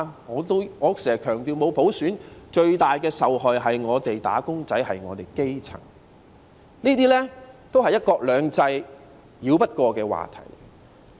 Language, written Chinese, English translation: Cantonese, 我經常強調，沒有普選最大的受害人是"打工仔"和基層市民，這些都是"一國兩制"繞不過的課題。, As I have always stressed the wage earners and the grass roots are made to suffer the most in the absence of universal suffrage